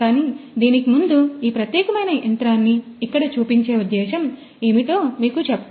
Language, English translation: Telugu, But before that let me just tell you that what is the whole purpose of showing this particular machine here